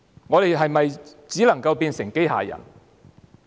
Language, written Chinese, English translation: Cantonese, 我們是否只能變成機械人？, Are we only supposed to act like a robot?